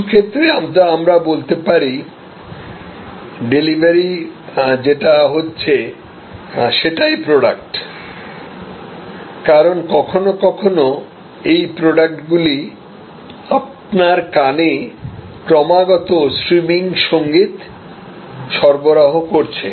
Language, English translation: Bengali, In some way the delivery becomes the product, because sometimes these products are continuously delivered like streaming music in your ears all the time